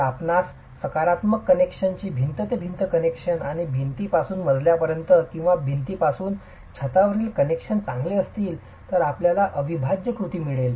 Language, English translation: Marathi, If you have good connections and positive connections, wall to wall connections and wall to floor or wall to roof connections, then you get integral action